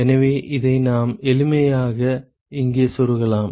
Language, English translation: Tamil, So, we can simply plug this in here